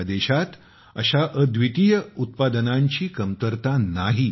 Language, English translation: Marathi, There is no dearth of such unique products in our country